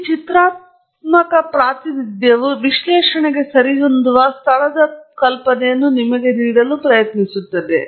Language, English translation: Kannada, So, this pictorial representation here tries to give you some idea of where analysis fits in